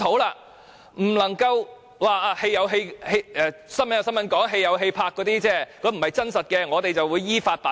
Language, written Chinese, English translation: Cantonese, 不能只說報道歸報道，拍戲歸拍戲，那些不是真實的，當局會依法辦事。, The authorities should no longer deliver any empty words claiming that they will strictly follow the law and that the reports or movie plots cannot reflect the reality